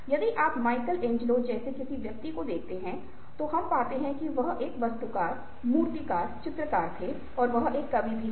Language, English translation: Hindi, if you are looking at somebody like michelangelo, we find that he was an architect, sculpture, painter, he was also a poet